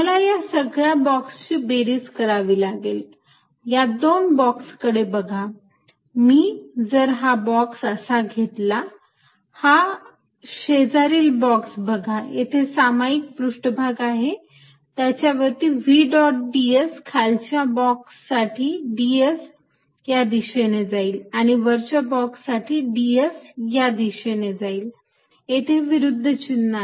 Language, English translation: Marathi, So, now, if I add this over all boxes I have to add this or over all boxes, look at two particular boxes, if I take one box like this I leave look at an adjacent box on this common surface v dot d s for the lower box would have d s going this way and for the upper box d s is going this way, there are opposite in signs